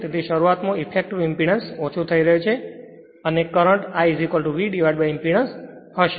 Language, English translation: Gujarati, So, at start therefore effective impedance is getting reduced and current will be your current is equal to V upon impedance